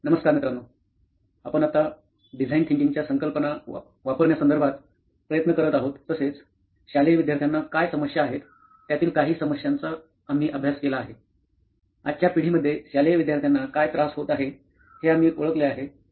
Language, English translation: Marathi, So hi guys, what we are trying to do now is we will be using design thinking concept and try to build a case study on few problem statements we’ve identified what the school students are facing today in today’s generation